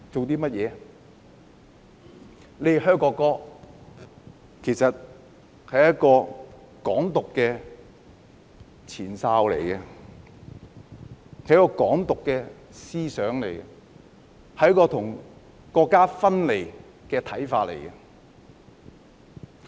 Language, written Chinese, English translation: Cantonese, 他們"噓"國歌，其實是"港獨"的前哨、"港獨"的思想、是要與國家分離的一種看法。, When they booed the national anthem actually this amounts to a prelude to Hong Kong independence an ideology of Hong Kong independence and a view calling for our separation from the country